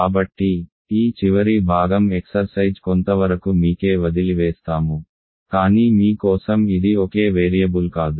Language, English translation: Telugu, So, this last part is somewhat a subtle exercise, but I will leave that for you it cannot be a single variable